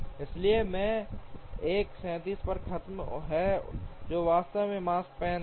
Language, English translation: Hindi, So J 1 will finish at 37, which is indeed the Makespan